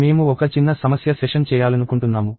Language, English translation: Telugu, So, I want to do a small problem session